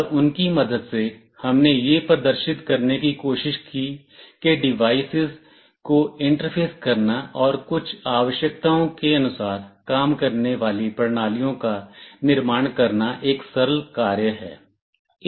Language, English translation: Hindi, And with the help of those we tried to demonstrate that it is quite a simple task to interface devices and build systems that work according to some requirements